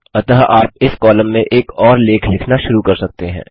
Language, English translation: Hindi, So you can start writing another article in this column